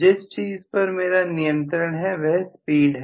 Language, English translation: Hindi, What I have a control over is the speed